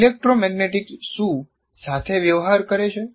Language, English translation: Gujarati, What does electromagnetics deal with